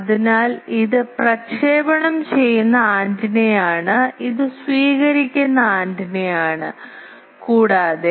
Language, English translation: Malayalam, So, this is a transmitting antenna, this is a receiving antenna, and